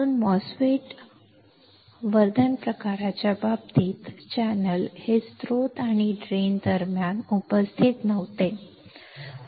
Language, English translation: Marathi, So, in the case of enhancement type MOSFET, the channels were not present between source and drain